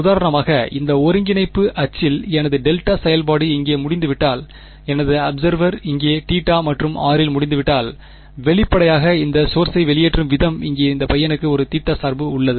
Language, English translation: Tamil, Because if for example, in this coordinate axis if my delta function is over here and my observer is over here at theta and r then; obviously, the way this source is emitting there is a theta dependence for this guy over here